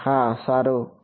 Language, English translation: Gujarati, Yes good catch